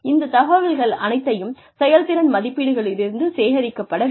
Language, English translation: Tamil, All of this information, can also be gathered, from the performance appraisals